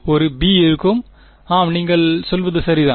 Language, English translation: Tamil, There will be a b yeah you are right